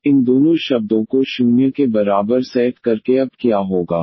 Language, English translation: Hindi, So, by setting these two terms equal to 0 what will happen now